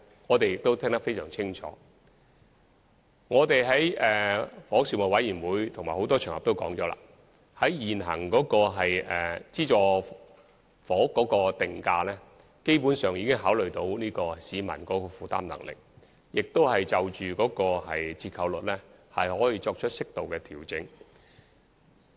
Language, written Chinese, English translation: Cantonese, 我們在房屋事務委員會會議及很多場合中均已指出，現行的資助房屋定價機制基本上已考慮了市民的負擔能力，亦可就折扣率作出適度的調整。, As we have already pointed out at meetings of the Panel on Housing and on many occasions the current pricing mechanism of subsidized sale flats has basically taken the affordability of the general public into consideration and appropriate adjustments to the discount offered are also allowed